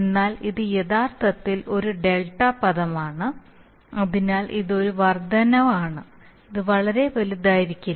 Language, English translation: Malayalam, But you see that, this is actually a delta term so it is an increment so it cannot be very large